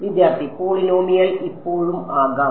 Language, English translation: Malayalam, Polynomial can still be